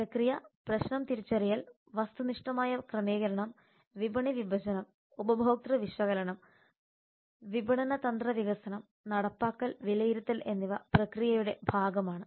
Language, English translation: Malayalam, the process problem identification objective setting market segmentation consumer analysis marketing strategy development implementation and evaluation are part of the process